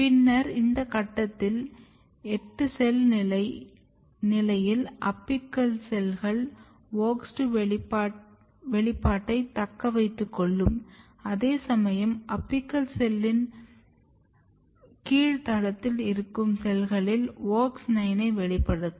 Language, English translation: Tamil, Later on you can see at this stage 8 cell stage the apical most cells they retain WOX2 expression whereas, the basal side of the apical cells they basically have WOX 9 expression